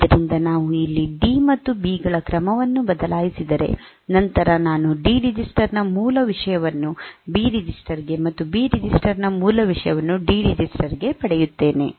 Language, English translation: Kannada, So, if we change the order here they D here, B here and D here; then, I will get the original content of D register into B register and original content of B register into D register